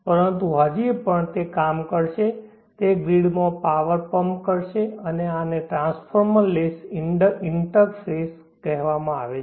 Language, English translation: Gujarati, But still it will work it will pump power into the grid, and this is called a transformer less interface